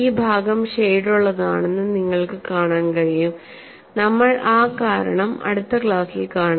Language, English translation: Malayalam, And also you could see this portion is shaded, we will see that reason possibly in a next class